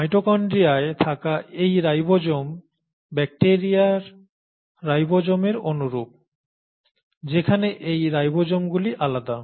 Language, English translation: Bengali, But this ribosome in mitochondria is similar to the ribosome of bacteria while this ribosome is different